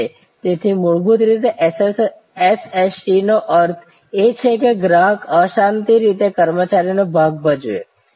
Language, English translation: Gujarati, Fundamentally SST therefore, means that customer will play the part partially of an employee